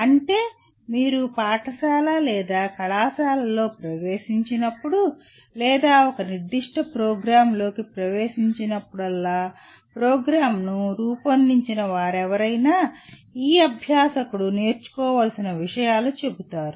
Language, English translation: Telugu, That means whenever you enter a school or a college or enter into a specific program, there is whoever has designed the program will say these are the things that the learner has to learn